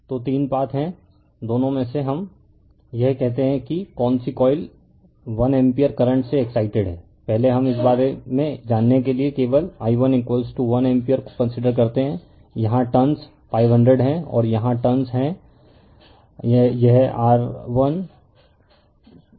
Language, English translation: Hindi, So, there are three paths right and say both we say either of this what coil is excited by 1 ampere current first we consider only i 1 is equal to 1 ampere forget about this one, the turns here it is 500 and turns here it is your 1000 turns